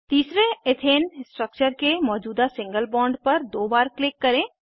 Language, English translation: Hindi, Click on the existing bond of the third Ethane structure twice